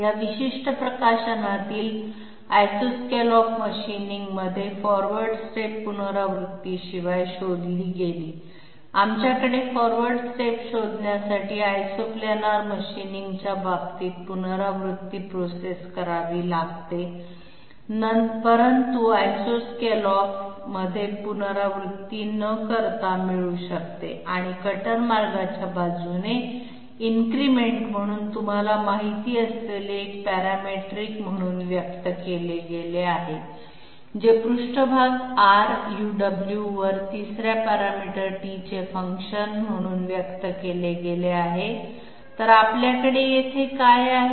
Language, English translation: Marathi, In isoscallop machining in this particular publication, the forward step was found out without iterations, we had iterations in case of iso planar machining, find out the forward step, but here the forward step was found out without iterations and it was expressed as a parametric you know increment along the cutter path which is expressed as a function of a third parameter t on the surface R U W, so what do we have here